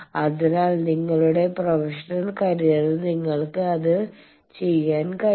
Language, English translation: Malayalam, So, you will be able to do that in your professional career